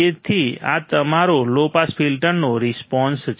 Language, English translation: Gujarati, So, this is your low filter low pass filter response